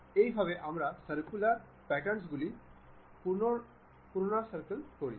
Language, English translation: Bengali, This is the way we repeat the patterns in circular way